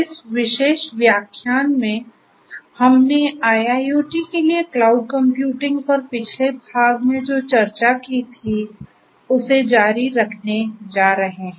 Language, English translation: Hindi, So, in this particular lecture we are going to continue from what we discussed in the previous part on Cloud Computing for IIoT